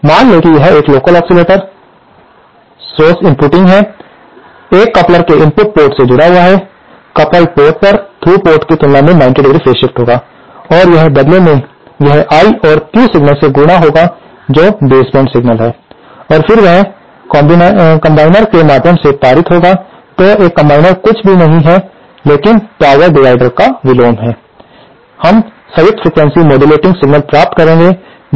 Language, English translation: Hindi, So, assume that this is an LO or local oscillator source inputting, connected to the input port of a coupler, at the coupled port, there will be a 90¡ phase shift with respect to the through port and this in turn will be multiplied with this I and Q signals which are baseband signals and then when they are passed through what we call a combiner, a combiner is nothing but power divider in reverse, we will get the combined signal, which is the frequency modulated signal